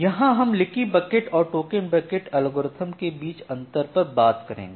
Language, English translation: Hindi, So, here is the difference between the leaky bucket versus token bucket algorithm